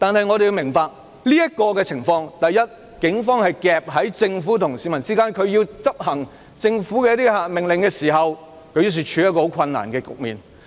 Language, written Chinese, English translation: Cantonese, 我們要明白在當前情況下，警方夾在政府與市民之間，警方為要執行政府的一些命令，因而處於一個很困難的局面。, We should understand that under the current circumstances the Police are caught in the middle between the Government and the public and in order to execute the orders of the Government the Police are put in a very difficult position